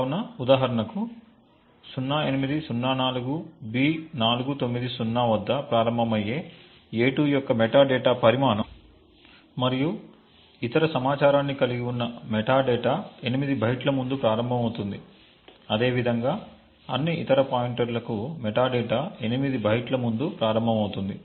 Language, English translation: Telugu, So, for example a2 which starts at 0804B490 the metadata which holds the size and other information starts at the location 8 bytes before this, similarly for all other pointers